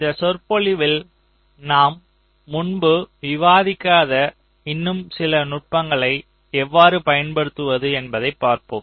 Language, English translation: Tamil, so in this lecture we shall be looking at a few more techniques which also can be used which i have not discussed earlier